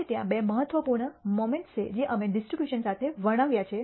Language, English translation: Gujarati, Now there are two important moments that we described for a distribution